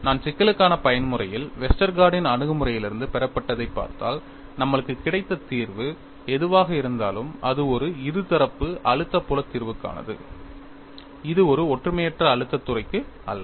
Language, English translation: Tamil, If you look at the derivation from Westergaard's approach for the mode 1 problem, whatever the solution that we have got was for a biaxial stress field solution; it is not for a uniaxial stress field